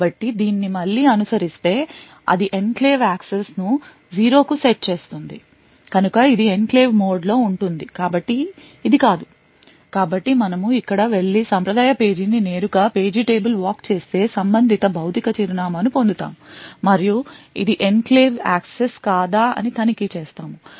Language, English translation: Telugu, So will follow this again will set enclave access to zero then is it in enclave mode so it is no so we go here perform the traditional page directly page table walk and obtain the corresponding physical address and check whether it is an enclave access